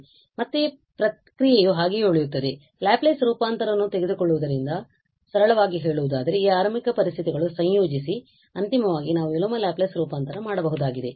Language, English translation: Kannada, So, again the process will remain the same we will take the Laplace transform simplify it incorporating these initial conditions and finally we will go for the inverse Laplace transform